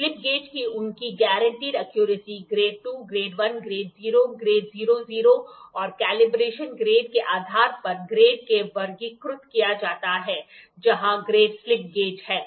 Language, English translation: Hindi, The slip gauges are classified into grades depending on their guaranteed accuracy Grade 2, Grade 1, Grade 0, Grade 00 and Calibration Grade are some of the where the 5 grade of slip gauges